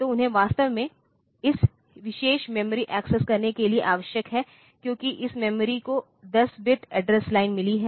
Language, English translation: Hindi, So, they are actually needed for accessing this particular memory, because this memory has got 10 bit address line